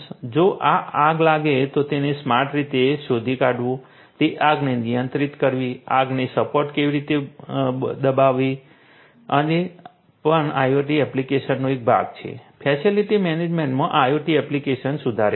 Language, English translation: Gujarati, If there is a fire that occurs, then you know detecting that in a smart way you know controlling that fire suppressing the fire in a smart way these are also part of the IoT application you know you know improved IoT application in facility management